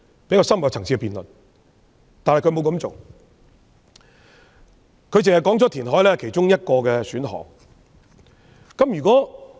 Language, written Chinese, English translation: Cantonese, 然而，她當時卻沒有這樣做，只表示填海是其中一個選項。, However she had failed to do so . Instead she only indicated that reclamation was an option